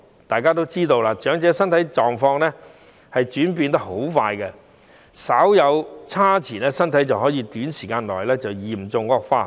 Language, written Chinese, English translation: Cantonese, 大家也知道，長者的身體狀況轉變得相當快，稍一不慎身體便有可能在短時間內嚴重惡化。, We are all cognizant of the fast changing physical conditions of the elderly . With any inadvertent negligence their health conditions may deteriorate very rapidly